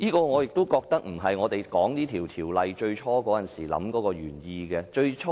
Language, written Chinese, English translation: Cantonese, 我覺得這並非這項條例最初訂立時的原意。, I do not think this was the original intent of the Ordinance when it was formulated